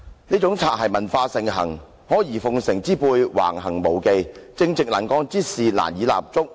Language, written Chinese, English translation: Cantonese, 於是擦鞋文化盛行，阿諛奉承之輩橫行無忌，正直能幹之士難以立足。, Therefore a boot - licking culture prevails; while the yes - men play the bully the upright and capable persons cannot get a foothold